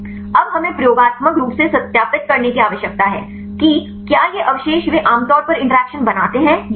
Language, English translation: Hindi, Now, we need to experimentally verify whether these residues they form typically interactions or not fine